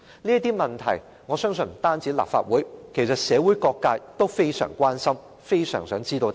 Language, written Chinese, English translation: Cantonese, 這些問題，我相信不單立法會，其實社會各界也非常關心，非常想知道答案。, I believe not only the Legislative Council but also various social sectors are all concerned about these questions and want to know the answers